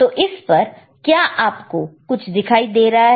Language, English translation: Hindi, Can you see anything in that this one